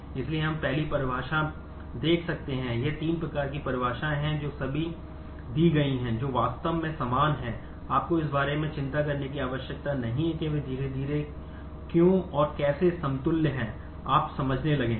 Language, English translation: Hindi, So, we are looking at the first definition these are there are three forms of definitions given all of them are actually equivalent, you do not have to worry about why and how they are equivalent slowly you will start understanding